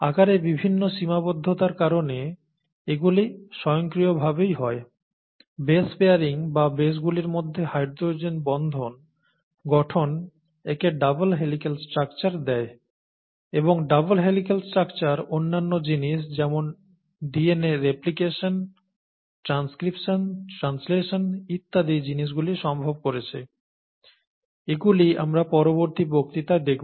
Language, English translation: Bengali, So this is what automatically results because of the various constraints in size and so on and so forth, the base pairing or hydrogen bonding between the bases, gives it its double helical structure and the double helical structure makes other things such as replication of DNA as well as transcription, translation and things like that possible, that we will see in later lectures, okay